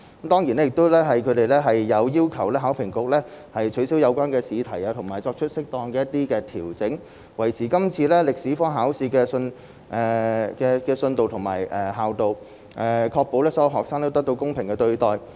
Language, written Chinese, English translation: Cantonese, 當然，他們亦有要求考評局取消有關試題，以及作出一些適當調整，以維持今次歷史科考試的信度和效度，確保所有學生均獲得公平的對待。, Certainly they have also requested HKEAA to invalidate the examination question concerned and make appropriate adjustments to safeguard the reliability and validity of the History examination in this event thereby ensuring that all candidates are fairly treated